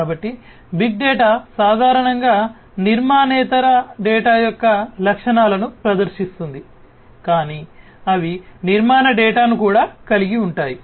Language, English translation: Telugu, So, big data are typically the ones which exhibit the properties of non structured data, but they could also have structure data